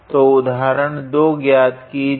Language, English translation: Hindi, So, evaluate example 2, I guess